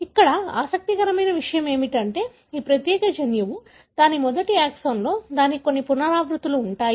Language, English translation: Telugu, So, what is interesting here is that this particular gene in its first exon, it has certain repeats